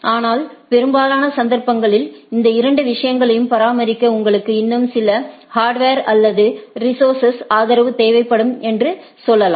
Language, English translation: Tamil, But, most of the cases it has be it has been seen that in order to maintain these both this type of things you require some more I should say hardware or resource support